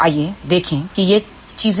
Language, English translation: Hindi, So, let us see what are these things